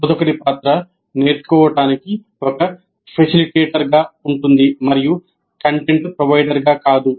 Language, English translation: Telugu, Role of instructor is as a facilitator of learning and not as provider of content